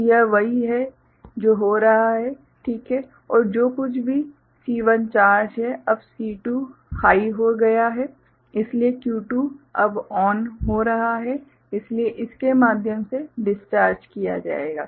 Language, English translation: Hindi, So, that is what is happening, right and whatever charge C1 has; now C2 has become high, so Q2 is now becoming ON, right, so it will get discharged through this, through this